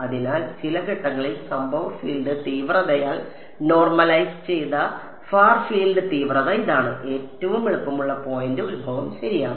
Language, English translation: Malayalam, So, this is the far field intensity normalized by the incident field intensity at some point and the easiest point is the origin ok